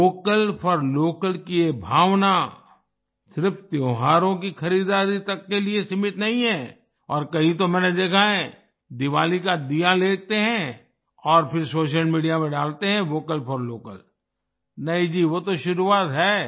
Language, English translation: Hindi, But you will have to focus on one more thing, this spirit for Vocal for Local, is not limited only to festival shopping and somewhere I have seen, people buy Diwali diyas and then post 'Vocal for Local' on social media No… not at all, this is just the beginning